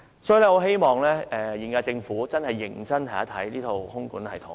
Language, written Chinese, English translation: Cantonese, 所以，我希望現屆政府認真研究這套空管系統。, I hope the current Government can seriously examine the system